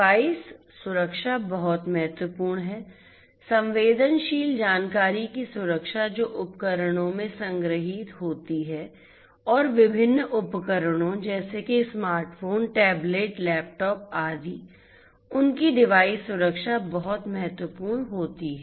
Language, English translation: Hindi, Device security is very very important, protection of the sensitive information that are stored in the devices and the different devices such as smartphones, tablets, laptops, etcetera, the their security the device security is very important